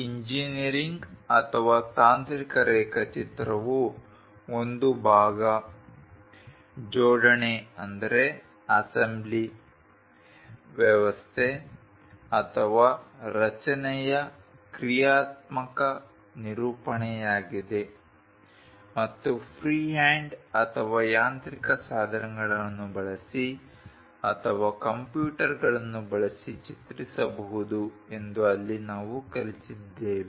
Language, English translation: Kannada, There we have learnt an engineering or a technical drawing is a graphical representation of a part, assembly system or structure and it can be produced using freehand or mechanical tools or using computers